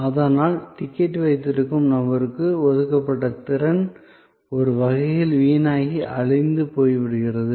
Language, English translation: Tamil, So, capacity that was allotted to the person holding the ticket is in a way wasted, perished, gone